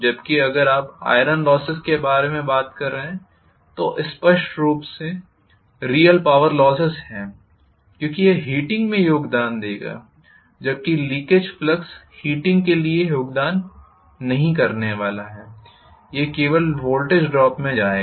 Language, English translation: Hindi, Whereas if you are talking about iron loss that is clearly real power loss because it will contribute to heating whereas leakage flux is not going to contribute towards heating, it will only go into voltage drop